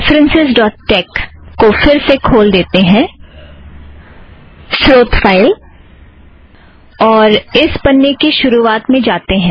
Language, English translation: Hindi, Let us put the references.tex back, the source file, lets go to the top of this page